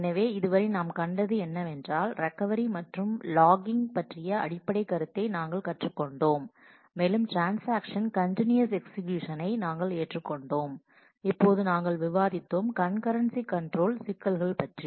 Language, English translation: Tamil, So, what we have seen so far are we have learned the basic concept of recovery and logging and we have assumed the serial execution of transactions and now we discussed the Concurrency Control issues